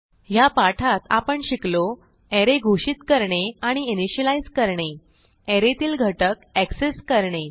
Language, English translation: Marathi, In this tutorial, you will learn how to create arrays and access elements in arrays